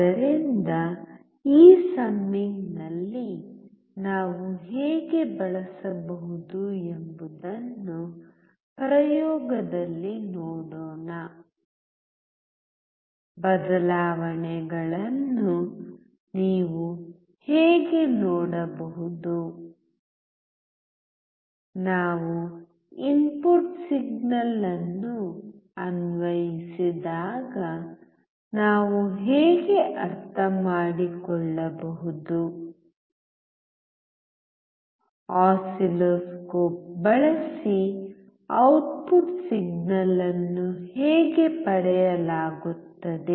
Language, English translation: Kannada, So, let us see in an experiment how we can use this summer; how you can see the changes; how we can understand when we apply input signal; how the output signal would be obtained using the oscilloscope